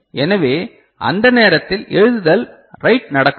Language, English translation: Tamil, So, at the time write will not be happening